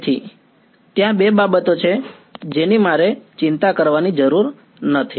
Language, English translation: Gujarati, So, there are two things that I have to worry about alright